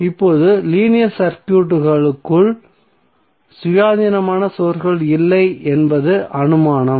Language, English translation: Tamil, Now, the assumption is that there is no independent source inside the linear circuit